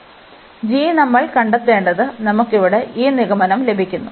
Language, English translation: Malayalam, And we have to find for what g, we are getting this conclusion here